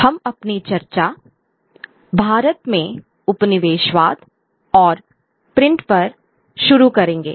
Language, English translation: Hindi, We will begin our discussion on colonialism and print in India